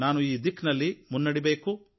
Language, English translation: Kannada, We should move in this direction